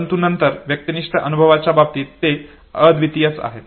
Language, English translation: Marathi, But then in terms of subjective experience they are unique